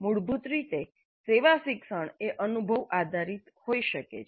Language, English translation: Gujarati, Basically service learning can be experience based